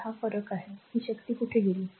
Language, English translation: Marathi, So, difference is there where that power has gone